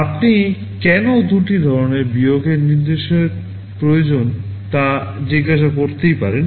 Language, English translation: Bengali, You may ask why you need two kinds of subtract instruction